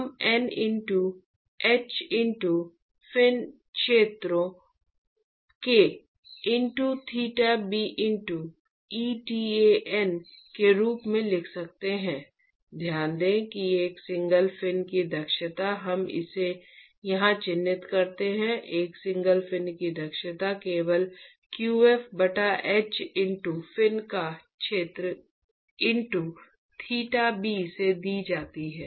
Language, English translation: Hindi, That we can write as N into h into area of the fin multiplied by theta b into eta n, note that the efficiency of a single fin at let us mark it here, efficiency of a single fin is simply given by qf divided by h into area of fin into theta b right